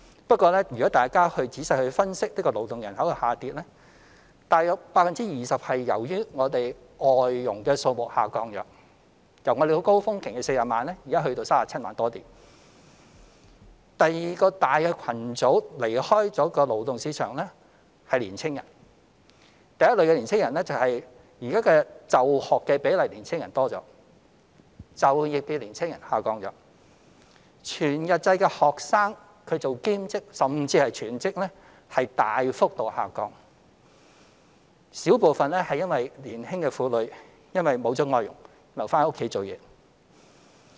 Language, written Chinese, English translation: Cantonese, 不過若大家仔細分析勞動人口的下跌，約 20% 是由於外籍家庭傭工數目下降，從高峰期的40萬人降至現時37萬多人；第二個離開勞動市場的大群組是年輕人：第一類是現時就學年輕人比例增加，就業年輕人比例下降，全日制學生做兼職甚至全職的比例大幅下降；小部分則是年輕婦女因沒有聘用外傭而留在家中。, The first reason is that the school attendance rate of young people has increased while the employment rate of young people has decreased . The number of full - time students working part - time or even full - time has significantly decreased . A small proportion of those who have left the labour market are young women who stay at home without hiring foreign domestic helpers